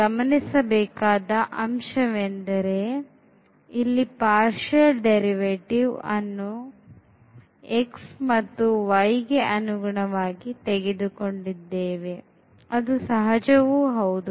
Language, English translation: Kannada, And, here we should note there the partial derivatives were taken with respect to x and y which was natural